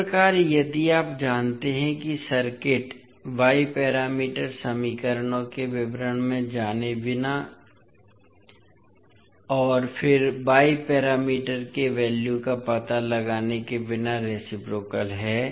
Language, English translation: Hindi, So in this way if you know that the circuit is reciprocal without going into the details of y parameter equations and then finding out the value of y parameters